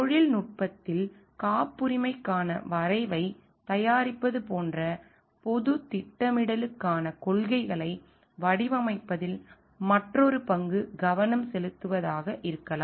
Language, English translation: Tamil, Another role could be focusing on like designing policies for public planning like preparing draft for patents in technology